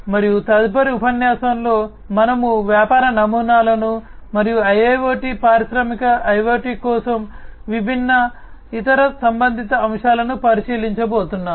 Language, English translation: Telugu, And in the next lecture, we are going to look into the business models and the different other related aspects for IIoT, Industrial IoT